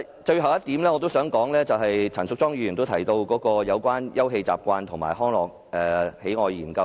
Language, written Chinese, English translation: Cantonese, 最後，我想談陳淑莊議員在修正案中建議的"休憩習慣與康樂喜愛研究"。, Lastly I wish to talk about the Study of Leisure Habits and Recreation Preferences mentioned in Ms Tanya CHANs amendment . The Study was conducted in 1995